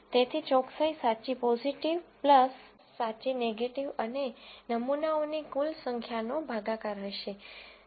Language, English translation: Gujarati, So, accuracy would be true positives plus true negatives divided by the total number of samples